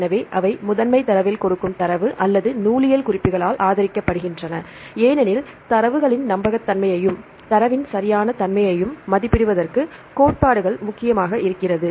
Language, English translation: Tamil, So, the data they give in the primary data or supported by the bibliographic references because theories are important to assess the reliability of the data as well as the correctness of the data